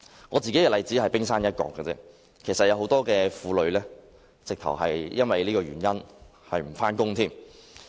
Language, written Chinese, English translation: Cantonese, 我的例子只是冰山一角，有很多婦女更因這原因而要辭去工作。, My case is just the tip of the iceberg and many women have to quit their jobs for this reason